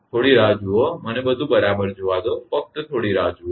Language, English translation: Gujarati, Just hold on let me see all right, just hold on